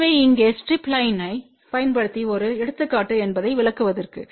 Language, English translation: Tamil, So just to illustrate that here is an example using strip line